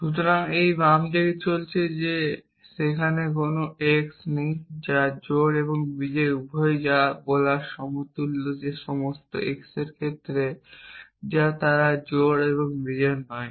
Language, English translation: Bengali, So, this left side is saying that there does naught exist an x which is both even and odd which is equivalent to saying that for all x which the case at they are naught even and odd